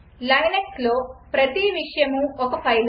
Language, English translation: Telugu, In linux, everything is a file